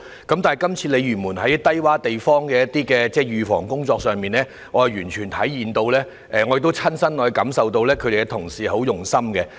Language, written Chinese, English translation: Cantonese, 但是，就這次鯉魚門一些低窪地方的預防工作上，我完全體會到，也親身感受到發展局同事很用心處理。, However this time around the bureau had made some preventive efforts for low - lying locations in Lei Yue Mun . I can truly feel that colleagues of the Development Bureau had made a great effort in taking the preventive measures